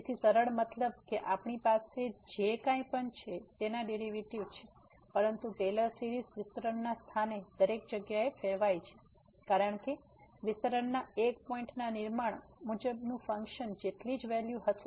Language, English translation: Gujarati, So, smooth means we have the derivatives of whatever or we lie, but the Taylor series diverges everywhere rather than the point of expansion, because a point of a expansion the series will have the value same as the function as per the construction so